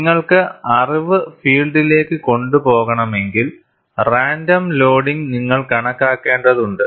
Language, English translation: Malayalam, But if you want to take the knowledge to the field, you will have to account for random loading